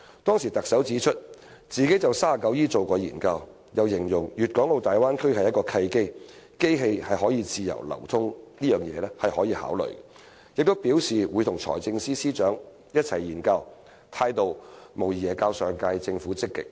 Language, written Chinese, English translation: Cantonese, 當時特首指出，她曾就第 39E 條進行研究，又形容粵港澳大灣區是契機，機器自由流通是可以考慮的，並表示會與財政司司長一同研究，態度無疑較上屆政府積極。, At the time the Chief Executive stated that she had done some research on section 39E and described the Guangdong - Hong Kong - Macao Bay Area as an opportunity . She remarked that the free flow of machinery could be considered and she would study the issue with the Financial Secretary . She was undoubtedly more proactive than the previous Government